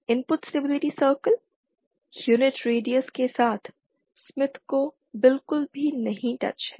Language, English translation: Hindi, The input stability circle does not touch the smith with unit radius at all